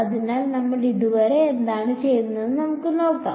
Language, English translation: Malayalam, So, let us just have a look at what we have done so far